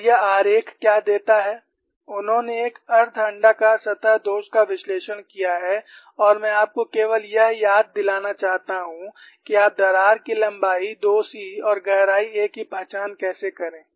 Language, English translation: Hindi, And what this diagram gives is, they have analyzed a semi elliptical surface flaw and I just want to remind you that, how you identify the crack length as 2 c and depth as a